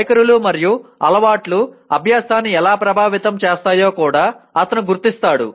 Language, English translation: Telugu, He also recognizes how attitudes and habits influence learning